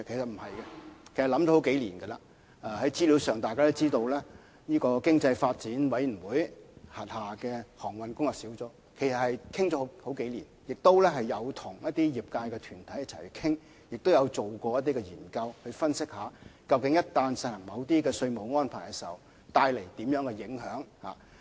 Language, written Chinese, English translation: Cantonese, 大家也可以從資料上看到，經濟發展委員會轄下的航運業工作小組，對此已討論了數年時間，也曾跟一些業界團體討論，以及進行研究分析，若要實行某些稅務安排，會帶來甚麼影響？, As Members may have noted from the information on hand the Working Group on Transportation of the Economic Development Commission has examined the issue over the last few years and has deliberated with some trade bodies as well as conducting studies and analyses on the possible impacts of certain taxation arrangements